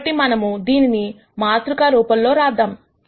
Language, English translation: Telugu, So, this is what we can think of this, matrix multiplication as